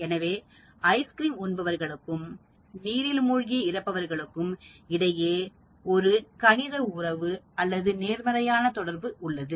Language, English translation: Tamil, It appears that there is a mathematical relationship or positive correlation between consumption of ice cream and drowning deaths